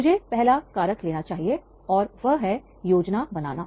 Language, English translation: Hindi, Let me take the first factor and that is a planning